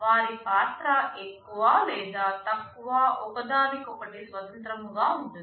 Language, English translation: Telugu, Their role is more or less independent of each other